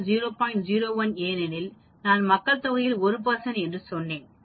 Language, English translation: Tamil, 01 because I said 1 percent of the population